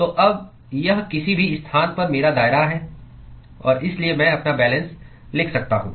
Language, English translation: Hindi, So now, so this is my radius at any location and so I could write my balance